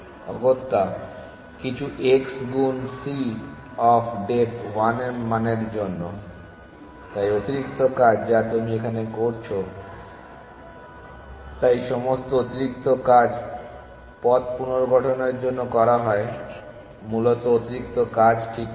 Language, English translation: Bengali, Essentially, for some value x into c of depth 1, so all that is extra work you are doing, all the extra work is done to reconstruct the path essentially how much is the extra work